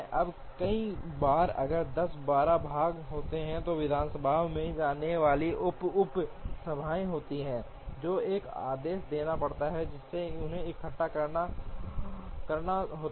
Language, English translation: Hindi, Now, many times if there are 10 or 12 parts and sub subassemblies that go the assembly, there has to be an order in which these have to be assembled